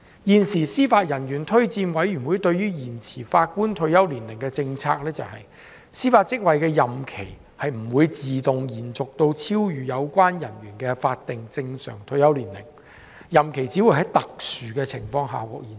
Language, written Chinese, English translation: Cantonese, 現時司法人員推薦委員會對於延遲法官退休年齡的政策是，司法職位的任期不應自動延續至超越有關人員的法定正常退休年齡，任期只會在特殊的情況下獲延續。, According to the policy of the Judicial Officers Recommendation Commission on the extension of the retirement age of Judges extension of the term of judicial office beyond the statutory normal retirement age should not be automatic and extension will only be approved under exceptional circumstances